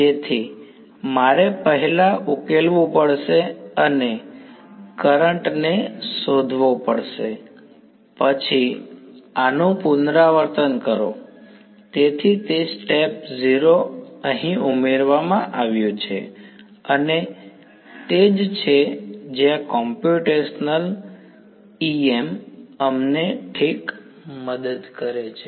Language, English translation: Gujarati, So, I have to solve and find out the current first then repeat these; so, that is the step 0 added over here, and that is where computational EM helps us ok